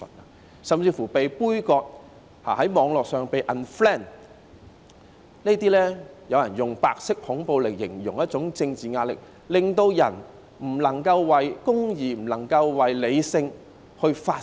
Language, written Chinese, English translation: Cantonese, 他們甚至被杯葛，在網絡上被 unfriend， 有人用白色恐怖來形容這一種政治壓力，令人不能夠為公義、為理性發聲。, They may even be boycotted and unfriended on the Internet . Some people have described this kind of political pressure as white terror which inhibits people from speaking up for justice and reason